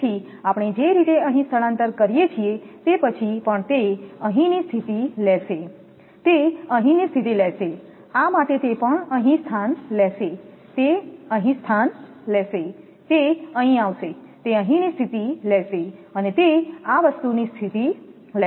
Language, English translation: Gujarati, So, the way we do that transposition here also after sometime it will take the position here, it will take the position here, for this one also it will take position here, it will take position here, it will come here, it will take the position here and it will take the position of these thing